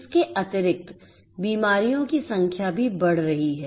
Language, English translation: Hindi, Additionally, the number of diseases are also increasing